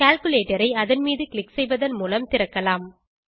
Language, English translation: Tamil, Lets open the calculator by clicking on it